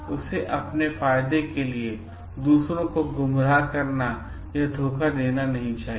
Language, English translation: Hindi, They should not be misleading or deceit others for their own benefit